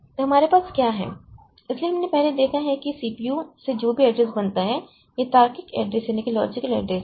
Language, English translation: Hindi, So, what we have, so we have previously you have seen that whatever address is generated from the CPU, the logical address